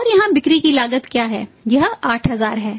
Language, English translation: Hindi, And what is the cost of sales cost of sales cost of sales here is this is 8000